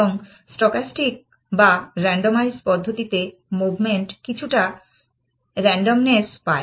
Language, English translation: Bengali, And what stochastic or randomize method say is that give some degree of randomness to the movement